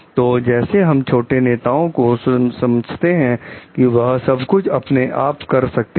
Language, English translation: Hindi, So, like we can understand low leaders can do everything by themselves